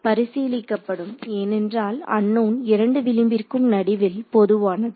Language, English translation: Tamil, Will be considered because the unknown is common between both edges